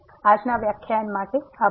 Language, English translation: Gujarati, Thank you, for today’s lecture